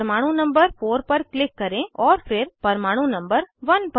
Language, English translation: Hindi, Click on the atom number 4, and then on atom number 1